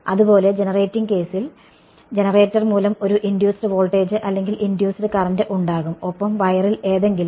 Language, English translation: Malayalam, Similarly, in the generating case there is going to be an induced voltage or induced current by the generator and something on the wire